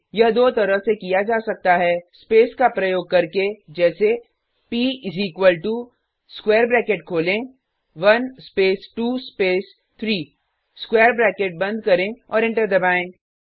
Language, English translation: Hindi, This can be done in two ways: By using spaces as p is equal to open square bracket one space 2 space 3 close the square bracket and press enter